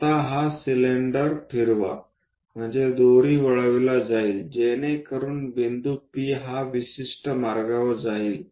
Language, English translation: Marathi, Now, spin this cylinder, so the point P are perhaps wind this rope, so that point P it moves on a specialized path